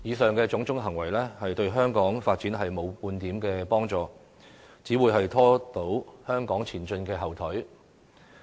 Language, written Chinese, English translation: Cantonese, 這種種行為對香港發展沒半點幫助，只會拖住香港前進的後腿。, All these are detrimental to Hong Kongs development and will only hinder its progress